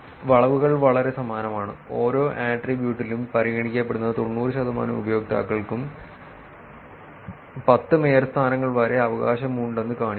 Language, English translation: Malayalam, The curves are very similar and shows that each attributes 90 percent of the users considered have up to 10 mayorships right